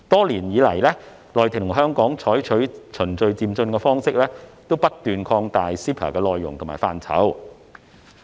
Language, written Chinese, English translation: Cantonese, 內地和香港多年來採取循序漸進的方式，不斷擴闊 CEPA 的內容和範疇。, Adopting a building block approach CEPA has continued to expand in content and scope over the years